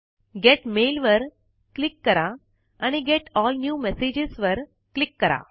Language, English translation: Marathi, Click Get Mail and click on Get All New Messages